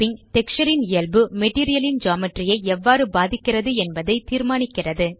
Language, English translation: Tamil, Now the Normal of the texture influences the Geometry of the Material